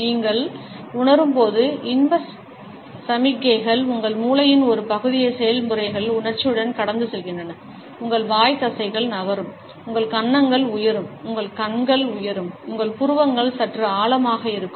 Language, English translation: Tamil, When you feel pleasure signals pass through part of your brain with processes emotion making your mouth muscles move, your cheeks rise, your eyes rise up and your eyebrows deep slightly